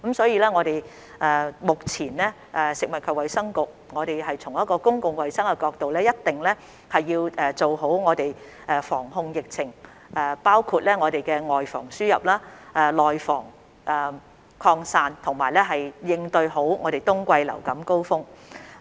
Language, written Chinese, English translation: Cantonese, 因此，食物及衞生局一定會從公共衞生角度做好防控疫情的工作，包括"外防輸入、內防擴散"，好好應對冬季流感高峰期。, Thus the Food and Health Bureau will definitely make efforts to prevent and control the epidemic from the public health perspective which include preventing the importation of cases and the spreading of the virus in the community so as to combat the winter surge